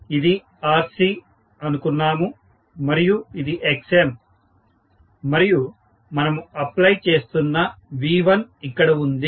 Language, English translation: Telugu, We said this is Rc, this is Xm and here is V1, what we are applying